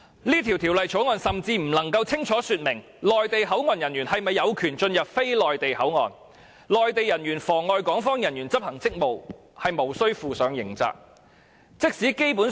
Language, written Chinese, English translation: Cantonese, 這項《條例草案》甚至不能清楚說明內地口岸人員是否有權進入非內地口岸，內地人員妨礙港方人員執行職務是無須負上刑責的。, The Government has not even stated clearly in the Bill if Mainland Port officials shall have the rights to enter non - Mainland Port Area and that Mainland Port officials shall assume no criminal liability if they obstruct Hong Kong Port officials from discharging their official duties